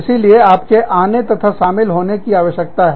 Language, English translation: Hindi, So, you need to come and join us